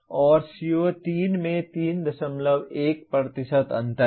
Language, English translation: Hindi, And CO3 there is a 3